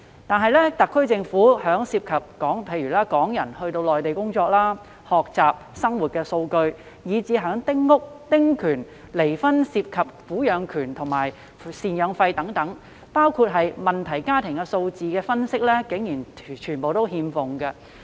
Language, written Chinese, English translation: Cantonese, 然而，特區政府對於涉及港人到內地工作、學習及生活的數據，以至丁屋及丁權，或離婚涉及的撫養權與贍養費、問題家庭的數字分析，竟然全部欠奉。, But surprisingly the SAR Government lacks any statistical analytics about the number of Hong Kong people working studying and living in the Mainland small houses the concessionary right child custody and alimony in divorce cases or even problem families